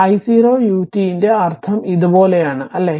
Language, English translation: Malayalam, So, this is your i meaning of i 0 u t is like this, right